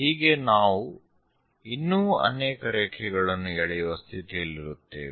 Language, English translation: Kannada, So, we will be in a position to draw many more lines